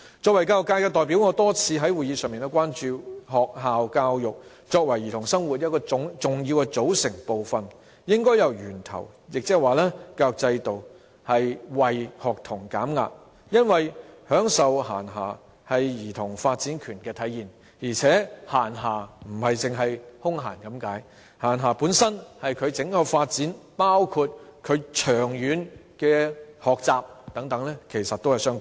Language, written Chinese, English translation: Cantonese, 作為教育界的代表，我多次在會議上表達關注，認為學校教育作為兒童生活的重要組成部分，應由源頭，亦即教育制度，為學童減壓，因為享受閒暇是兒童發展權的體現，而且閒暇並非僅是空閒的意思，閒暇本身與兒童的整體發展，包括兒童長遠學習，其實是相關的。, In my view given that school education is an important component of childhood we should start from the source that means the education system to reduce students pressure because enjoyment of leisure is manifestation of childrens right to development . Moreover leisure does not merely mean spare time . Leisure is actually related to childrens overall development including their learning in the long term